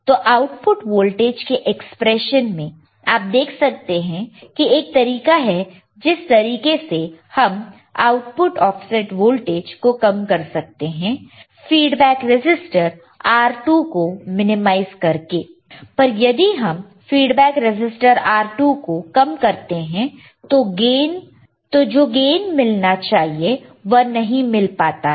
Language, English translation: Hindi, So, it can be seen from the output voltage expression that a way to decrease the output offset voltage is by minimizing the feedback resistor R2, but decreasing the feedback resistor R2 required gain cannot be achieved right